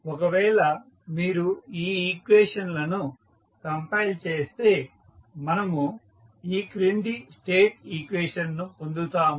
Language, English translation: Telugu, So, if you compile these equations that is 1 and 2 in the standard form we get the following state equation